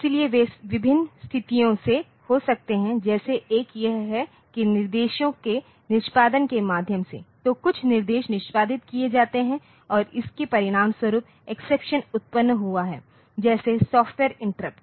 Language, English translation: Hindi, So, they can occur from various different situations like one is that through execution of instructions; so, some instruction is executed and as a result exception has occurred, like the software interrupts